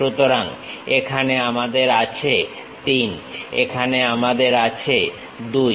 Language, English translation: Bengali, So, here 3 we have, here we have 2